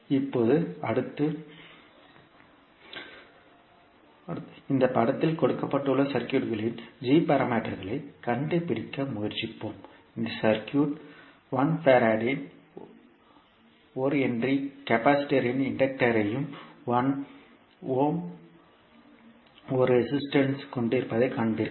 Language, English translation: Tamil, Now next, let us try to find the g parameters of the circuit which is given in this figure, here you will see that the circuit is having inductor of one henry capacitor of 1 farad and one resistance of 1 ohm